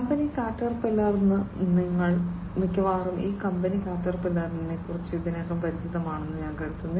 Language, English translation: Malayalam, The company Caterpillar, and I think most of you are already familiar with this company Caterpillar